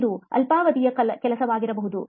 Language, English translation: Kannada, This is a short term which works